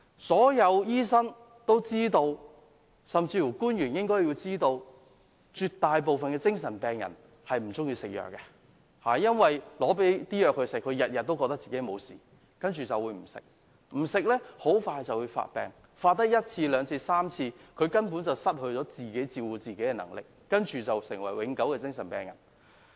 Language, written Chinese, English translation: Cantonese, 所有醫生都知道，官員也應知道，絕大部分精神病人均不喜歡服藥，他們認為自己沒有事，不願服藥，繼而發病，發病了一次、兩次、三次後，他們便會失去自理能力，成為永久精神病人。, All doctors as well as government officials should be aware that most mental patients do not like taking drugs . They all think that they are alright and refuse to take drugs and then they will relapse . After relapsing for a few times the patient will lose their self - care power and becomes mentally ill permanently